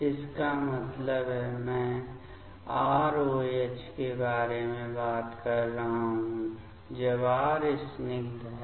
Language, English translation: Hindi, That means, I am talking about R OH; when R is aliphatic